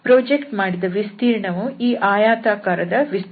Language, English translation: Kannada, So that is the area of this rectangle